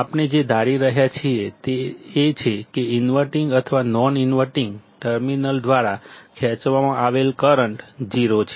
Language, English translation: Gujarati, What we are assuming is that the current drawn by inverting or non inverting terminals is 0